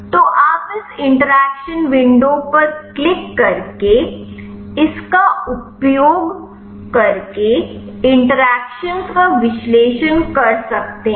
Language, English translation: Hindi, So, you can analyze the interactions using this in by clicking this interaction window